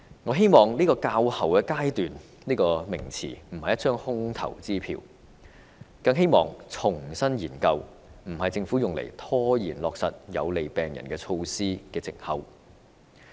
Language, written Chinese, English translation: Cantonese, 我希望"較後階段"一詞並非一張空頭支票，更希望"重新研究"不是政府用來拖延落實有利病人措施的藉口。, I hope the words in due course will not become an empty promise and revisit is not an excuse put up by the Government to delay measures that are good for patients